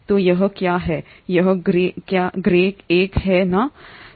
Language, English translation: Hindi, So this is what it is, this grey one, right